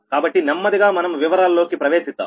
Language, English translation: Telugu, so, slowly and slowly, we will enter into the detail right now